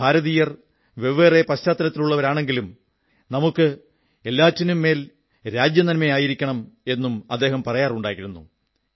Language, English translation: Malayalam, He also used to say that we, Indians may be from different background but, yes, we shall have to keep the national interest above all the other things